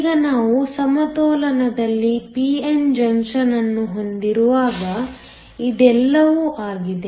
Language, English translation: Kannada, Now, this is all when we have a p n junction in equilibrium